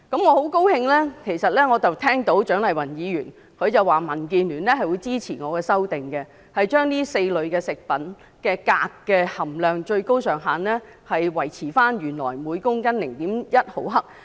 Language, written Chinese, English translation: Cantonese, 我很高興聽到蔣麗芸議員表示民主建港協進聯盟支持我的修訂，將這4類食物的鎘含量的最高上限維持原來每公斤 0.1 毫克。, I am very glad to hear Dr CHIANG Lai - wan say that the Democratic Alliance for the Betterment and Progress of Hong Kong DAB supports my amendment which proposes that the maximum level for cadmium be maintained at the original 0.1 mgkg for these four categories of food